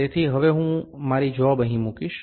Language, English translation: Gujarati, So, I will now put my job here